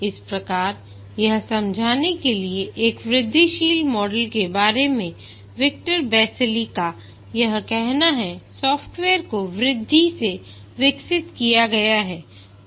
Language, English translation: Hindi, Just to explain what Victor Basile has to say about an incremental model is that the software is developed in increments